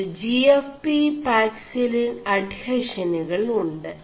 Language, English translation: Malayalam, And you have GFP paxillin adhesions